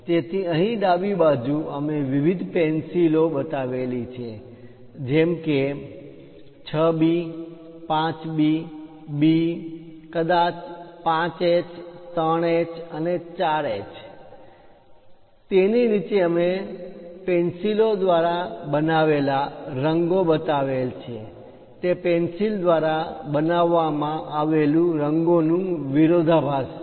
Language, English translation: Gujarati, So, here on the left hand side, we have shown different pencils like 6B, 5B, B, maybe 5H, 3H, and 4H notations; below that we have shown the color made by the pencil, the contrast made by that pencil